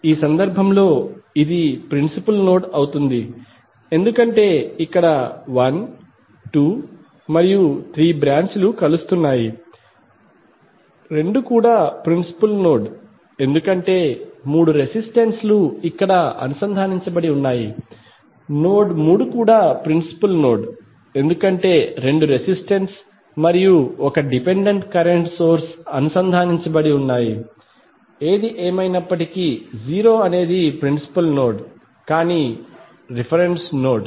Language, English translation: Telugu, In this case this would be principal node because here 1, 2 and 3 branches are joining, 2 is also principal node because all three resistances are connected here, node 3 is also principal node because two resistances and 1 dependent current source is connected and 0 is anyway principal node but this is reference node